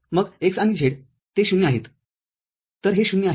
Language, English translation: Marathi, Then x and z they are 0, so this is 0